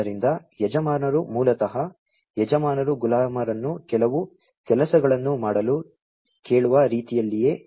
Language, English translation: Kannada, So, masters basically in the same way as masters ask the slaves to do certain work